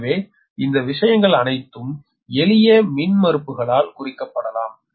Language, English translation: Tamil, all these things can be represented by simple impedances, right